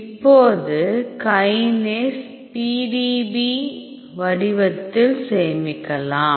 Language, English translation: Tamil, So, now, you can save them kinase in a PDB format